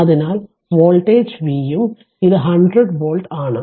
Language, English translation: Malayalam, So, your voltage is V right and this is 100 volt